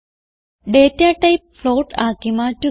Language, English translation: Malayalam, change the data type to float